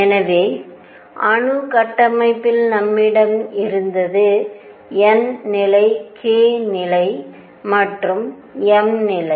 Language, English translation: Tamil, So, in the atomic structure what we had was n level k level and m level